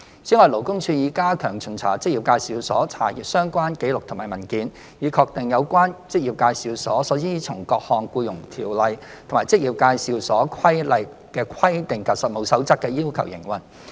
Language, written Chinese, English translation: Cantonese, 此外，勞工處已加強巡查職業介紹所，查閱相關紀錄及文件，以確定有關職業介紹所依從各項《僱傭條例》和《職業介紹所規例》的規定及《實務守則》的要求營運。, In addition LD has stepped up the inspections to EAs to scrutinize relevant records and documents to ensure that EAs are operating in compliance with the various requirements in EO EAR and CoP